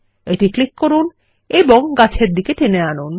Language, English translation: Bengali, Now click and drag towards the trees